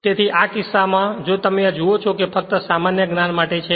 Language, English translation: Gujarati, So, in this case if you look into this that just for your general knowledge